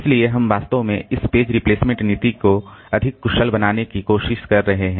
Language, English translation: Hindi, So, they are actually trying to make this page replacement policy more efficient